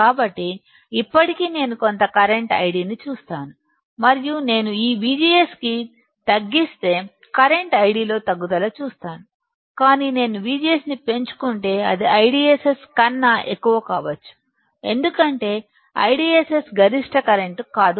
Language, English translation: Telugu, So, V G S equals to 0 still I see some current I D and if I decrease this V G S then, I will see a decrease in the current I D, but if I increase the V G S then it can be more than I DSS because I DSS is not the maximum current